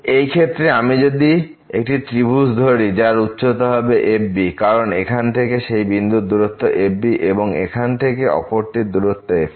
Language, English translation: Bengali, So, in this case if I draw this triangle here the height here will be because the distance from here to this point is and the distance from this point to this point here is